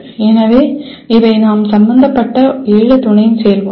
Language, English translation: Tamil, So these are the seven sub processes that we are involved